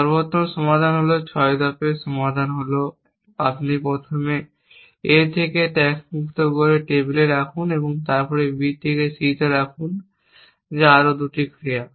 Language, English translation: Bengali, The optimal solution is the 6 step solution was you first untaxed from A put it on the table then put B on to C that is 2 more action